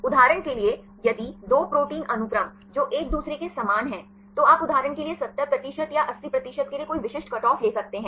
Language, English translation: Hindi, For example if the two protein sequences which are similar to each other, you can take any specific cutoff for example, 70 percent or 80 percent